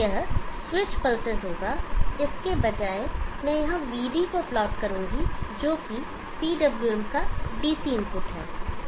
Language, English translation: Hindi, That would be switch pulses; instead I will plot VD here which is the DC input to the PWM